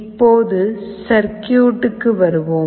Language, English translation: Tamil, Now, let us come to the circuit